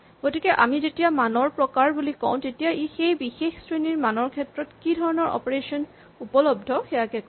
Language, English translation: Assamese, So, when we said type of values it is really specifying what kinds of operations are legally available on that class of values